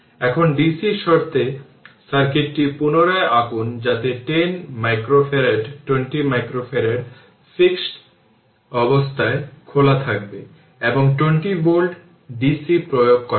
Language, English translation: Bengali, Now, we will we will redraw the circuit right under dc condition that that 10 micro farad 20 micro farad it will be open at steady state right; and 20 volt dc is applied